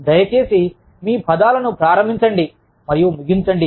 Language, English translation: Telugu, Please, start and end your words